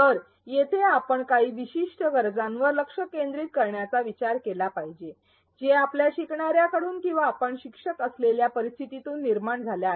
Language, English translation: Marathi, So, here we have to actually think of addressing some particular need that comes from the, from our learners or from the situation maybe the, it is if you are a teacher